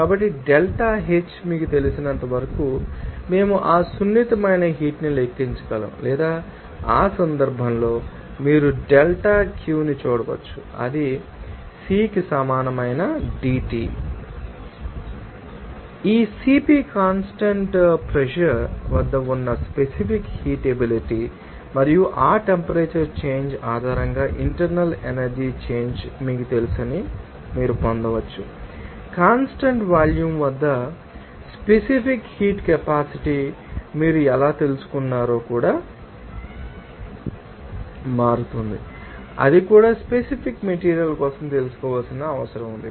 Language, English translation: Telugu, So, based on which we can calculate that sensible heat as you know that delta H or you can see delta Q in that case that will be equal to CP into dT or this CP is the specific heat capacity there at constant pressure and also you can get that you know internal energy change based on that temperature change also and for that also how that you know specific heat capacity at constant volume is changing that also to be required to know for that particular materials